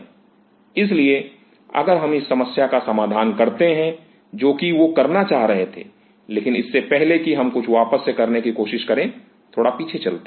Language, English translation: Hindi, So, if we break up this problem what he was trying to do, but before what is trying to do let us go back a little